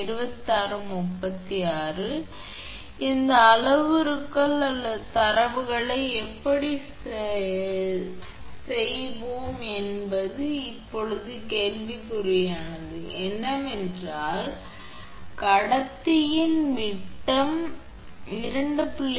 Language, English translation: Tamil, So, how we will do this all the parameters or data whatever is given now question is that, r is; your diameter of the conductor is given 2